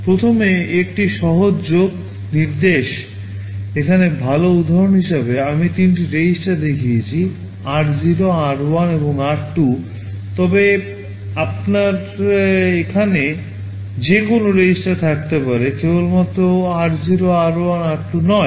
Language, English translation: Bengali, First is a simple add instruction, well here as an example I have shown three registers r 0, r1, r2, but you can have any registers here not necessarily only r0, r1, r2